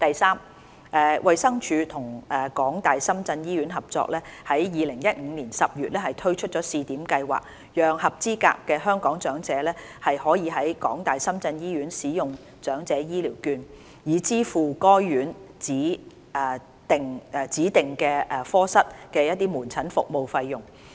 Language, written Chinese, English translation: Cantonese, 三衞生署與港大深圳醫院合作，於2015年10月推出試點計劃，讓合資格的香港長者可以在港大深圳醫院使用長者醫療券，以支付該院指定科室的門診服務費用。, 3 The Department of Health DH collaborated with the University of Hong Kong - Shenzhen Hospital HKU - SZH to launch a Pilot Scheme in October 2015 to allow eligible Hong Kong elders to use Elderly Health Care Vouchers to pay for designated outpatient services at HKU - SZH